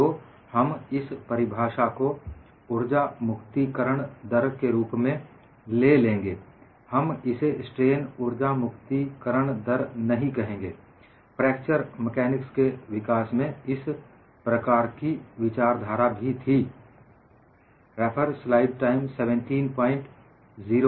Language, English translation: Hindi, So, we will retain the definition as energy release rate; we will not call this as strain energy release rate; that kind of thinking was also there in the development of fracture mechanics